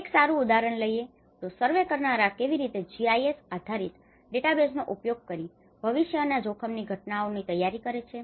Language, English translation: Gujarati, Like a good example of how the surveyors can prepare using the GIS based database, how they prepare for the future risk events